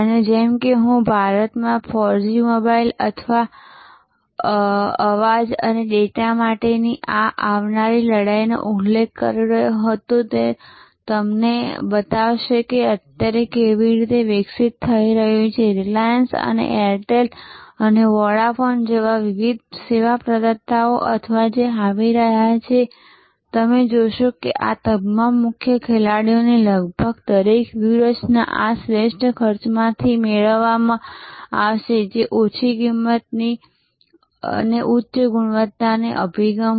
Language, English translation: Gujarati, And as I was mentioning this coming battle for 4G mobile voice and data in India will show you as it is evolving right now and different service providers like Reliance and Airtel and Vodafone or coming, you will see that almost every strategy of all these major players will be derived out of this best cost that is low cost high quality approach